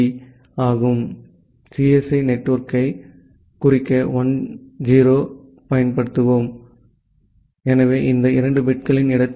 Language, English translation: Tamil, So, let us use 1 0 to denote the CSE network, so in the place of these two bits